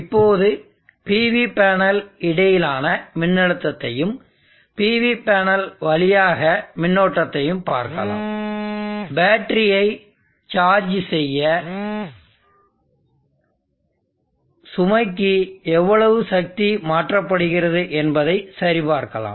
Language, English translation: Tamil, Now let us see the voltage across the PV panel and current through the PV panel and just check how much amount of power is been transferred to the load to charge the battery in the load so if we check the power drawn from the PV panel see that